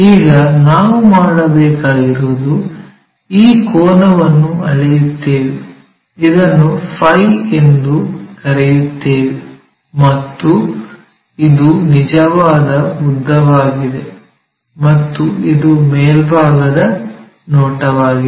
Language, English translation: Kannada, Now, what we have to do is this angle we will measure, let us call phi, and this is true length, and this one is top view